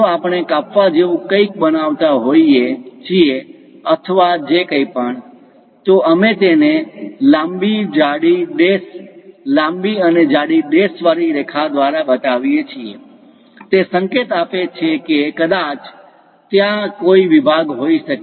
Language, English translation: Gujarati, If we are making something like a slicing or whatever, we show it by long dashed thick, long and thick dashed lines; that indicates a perhaps there might be a section